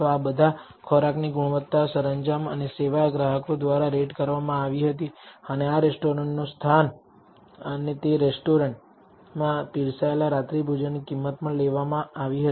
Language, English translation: Gujarati, The quality of the food, the decor and service all this was rated by the customers and the location of this restaurant and the price of dinner in that served in that restaurant was also taken